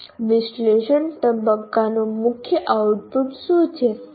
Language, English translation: Gujarati, So what is the key output of analysis phase